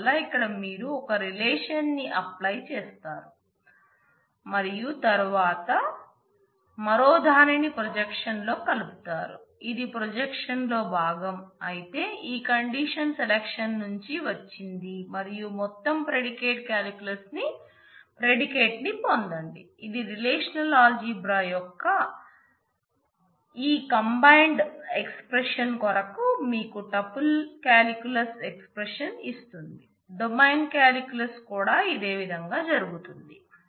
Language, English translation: Telugu, So, here you apply 1 relation 1 operation and then the other 1 selection then projection here you are combining this is part of projection this is also part of projection, but this condition has come from the selection and get a total predicate calculus predicate which will give you the tuple calculus expression for this combined expression of relational algebra , domain calculus will certainly happen in a similar manner